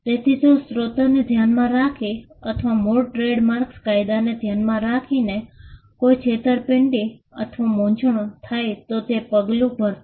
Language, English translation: Gujarati, So, if there is a deception or confusion with regard to the source or with regard to the origin trademark law will step in